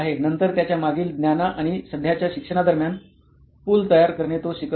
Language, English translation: Marathi, Then creating the bridge between his past knowledge and he is present learning